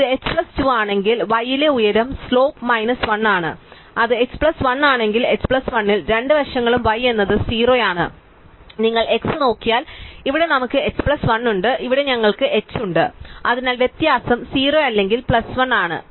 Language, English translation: Malayalam, If it is h plus 2, then the height slope at y is minus 1, if it h plus 1 then both sides at h plus 1 slope at y is 0 and if you look at x, here we have h plus 1 and here we have h, so the difference is either 0 or plus 1